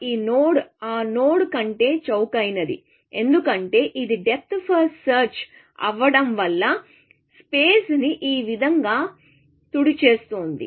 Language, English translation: Telugu, This node is cheaper than that node, because it being depth first search, sweeping the space like this, it will find this node